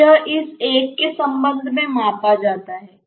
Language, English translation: Hindi, So, that is measured with respect to this one